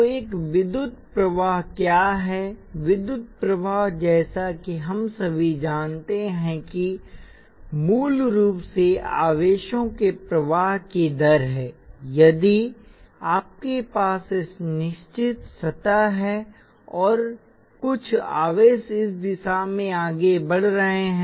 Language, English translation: Hindi, So what is an electric current, electric current as you well know is basically the rate of flow of charges that is if you have a certain surface and some charges have moving in this direction